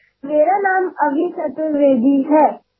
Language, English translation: Marathi, "My name is Abhi Chaturvedi